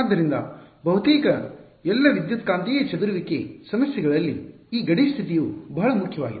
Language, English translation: Kannada, So, this boundary condition is very important in almost all electromagnetic scattering problems